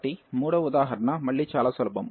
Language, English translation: Telugu, So, the third example is again very simple